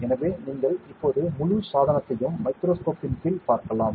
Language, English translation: Tamil, So, you can see the entire device under the microscope now